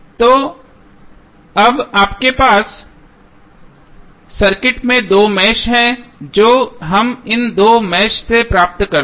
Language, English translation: Hindi, So, now you have two meshes in the circuit what we get from these two meshes